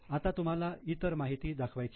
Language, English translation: Marathi, Now you have to show other information